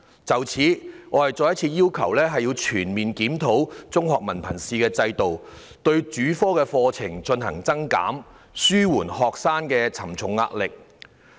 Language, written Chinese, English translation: Cantonese, 就此，我再次要求全面檢討中學文憑試制度，對主科課程進行增減，紓緩學生的沉重壓力。, With this I reiterate my call for an overall review of the Hong Kong Diploma of Secondary Education Examination to introduce new or remove existing compulsory subjects to alleviate the pressure on students